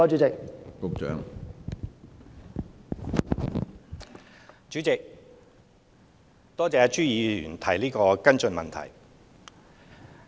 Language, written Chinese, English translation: Cantonese, 主席，多謝朱議員提出的補充質詢。, President I thank Mr CHU for the supplementary question